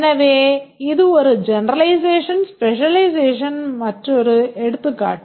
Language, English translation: Tamil, So, this is another example of a generalization specialization